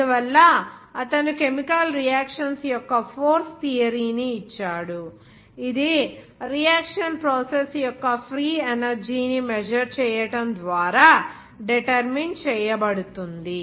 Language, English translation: Telugu, So he gave that theory of force of chemical reactions which is determined by the measure of the free energy of the reaction process